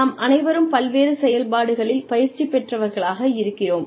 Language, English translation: Tamil, We are all trained in various functions